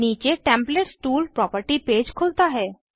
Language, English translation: Hindi, Templates tool property page opens below